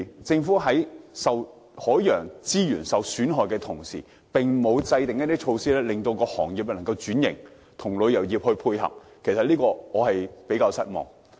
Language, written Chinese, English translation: Cantonese, 政府在損害海洋資源的同時，並沒有制訂措施幫助行業轉型，與旅遊業配合，我對此相當失望。, In damaging the marine resources the Government has not formulated any measure to help the transformation of the industry to tie in with the tourism industry . I am very disappointed about that